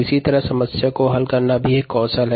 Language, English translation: Hindi, similarly, problem solving is also a skill